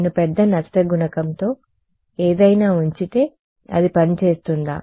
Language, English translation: Telugu, if I just put something with a large loss coefficient will it work